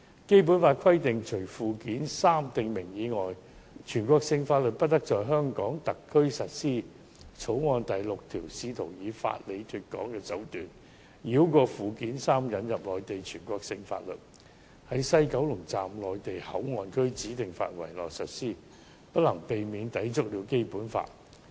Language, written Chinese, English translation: Cantonese, 《基本法》規定，除附件三訂明外，全國性法律不得在香港特區實施。《條例草案》第6條試圖以法理"脫港"的手段，繞過附件三引入內地全國性法律，在西九龍站內地口岸區指定範圍內實施，此舉無可避免會抵觸《基本法》。, While the Basic Law provides that no Mainland law shall apply to Hong Kong save under Annex III clause 6 of the Bill attempts to achieve otherwise by circumventing Annex III through the legal means of de - establishment so that Mainland laws can be implemented in a designated area within MPA of WKS which inevitably contravenes the Basic Law